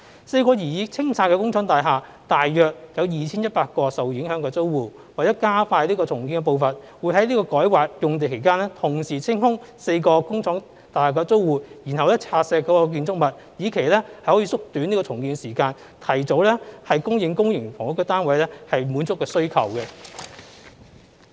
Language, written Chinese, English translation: Cantonese, 四幢擬清拆的工廠大廈大約有 2,100 個受影響的租戶，為了加快重建的步伐，會在改劃用地的期間，同時清空4個工廠大廈的租戶，然後拆卸建築物，以期縮短重建時間，提早供應公營房屋單位，滿足需求。, The four factory estates intended for clearance and demolition have about 2 100 affected tenants . In order to speed up the pace of development HA will proceed with the clearance of the tenants of the four factory estates and thereafter demolition of the buildings while the rezoning exercise of the sites is in progress so as to shorten the redevelopment programme and advance the supply of public housing units to meet demand